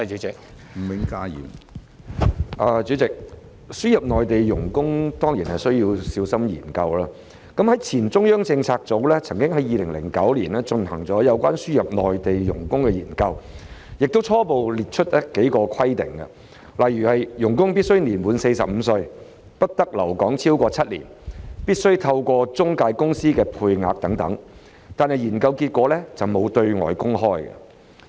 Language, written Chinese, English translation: Cantonese, 主席，輸入內地傭工當然需要小心研究，前中央政策組曾經在2009年進行有關輸入內地傭工的研究，並初步列出數項規定，例如傭工必須年滿45歲、不得留港超過7年、必須透過中介公司的配額等，但研究結果沒有對外公開。, President we certainly need to carefully study the admission of MDHs . In 2009 the former Central Policy Unit conducted a study on the admission of MDHs . The preliminary result of the study listed several requirements for their admission such as they must be aged 45 or above; they may not stay in Hong Kong for more than seven years; the quota must be allocated through an intermediary agency etc